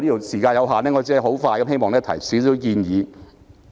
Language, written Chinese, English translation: Cantonese, 時間所限，我只能簡短地提出建議。, Given the time constraints I can only put forth my recommendations briefly